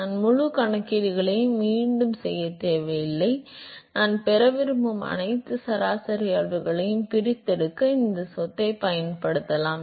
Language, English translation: Tamil, I do not need to redo the whole calculations I can simply use this property in order to extract all the average quantity that I wanted to get